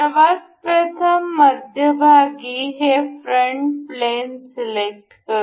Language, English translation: Marathi, Let us select this front plane from the middle